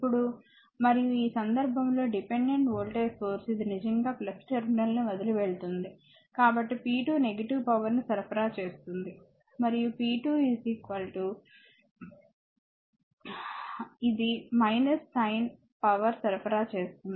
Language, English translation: Telugu, Now, and in this case for dependent voltage source this actually leaving the plus terminal so, p 2 will be negative power supplied and p 2 will be is equal to your, this is minus sign power supplied